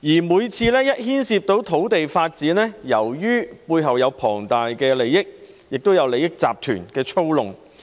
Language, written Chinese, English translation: Cantonese, 每當牽涉土地發展，背後都涉及龐大利益，有利益集團操弄。, Land development always comes along with enormous interests at stake and manipulation on the part of interest groups